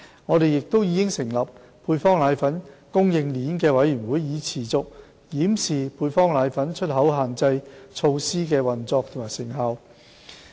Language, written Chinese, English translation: Cantonese, 我們亦已成立配方粉供應鏈委員會，以持續檢視配方粉出口限制措施的運作及成效。, We have also set up the Committee on Supply Chain of Powdered Formula to keep track of the operation and effectiveness of the export control on powdered formulae